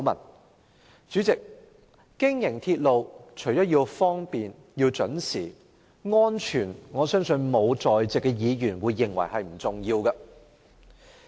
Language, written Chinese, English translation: Cantonese, 代理主席，經營鐵路除了要方便、準時外，也必須確保安全——我相信在席沒有議員會認為安全不重要。, Deputy President in addition to convenience and punctuality railway operators must also ensure safety―I believe no Member here will dismiss safety as unimportant